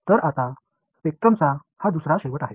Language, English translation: Marathi, So, that is the other end of the spectrum